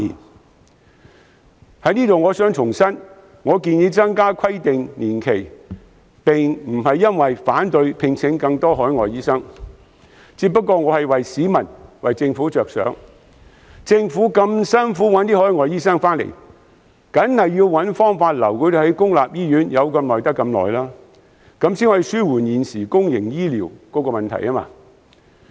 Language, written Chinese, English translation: Cantonese, 我想在此重申，我建議延長規定年期，並非因為反對聘請更多海外醫生，我只是為市民和政府着想，畢竟政府千辛萬苦找來海外醫生，自然要設法盡量把他們留在公立醫院，這樣才可紓緩現時公營醫療系統的問題。, By proposing the extension of the specified period I do not mean to oppose the recruitment of more overseas doctors but simply want to help the people and the Government . After all it is by no means easy for the Government to recruit overseas doctors . We must hence make all efforts to retain them in public hospitals for as long as possible to alleviate the current problems facing the public healthcare system